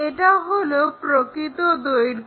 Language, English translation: Bengali, So, this is apparent length